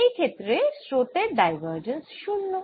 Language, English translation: Bengali, in that case divergence of the current would be zero